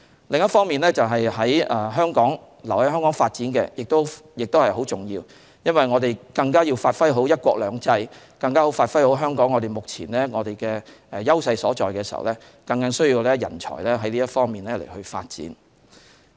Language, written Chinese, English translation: Cantonese, 另一方面，留在香港發展亦很重要，我們更要發揮好"一國兩制"，更要發揮好香港目前的優勢所在，很需要人才在這方面發展。, On the other hand staying in Hong Kong for development is also highly important as we have to capitalize on the principle of one country two systems as well as the existing advantages of Hong Kong . We strongly need talents who develop in this regard